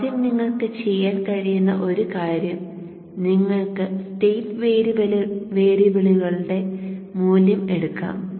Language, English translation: Malayalam, First off one thing what you could do is you could take the value of the state variables